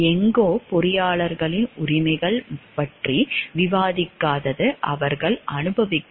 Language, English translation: Tamil, It somewhere it does not discuss about the rights of the engineers that they enjoy